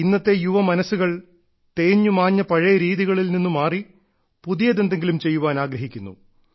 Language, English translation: Malayalam, And today's young minds, shunning obsolete, age old methods and patterns, want to do something new altogether; something different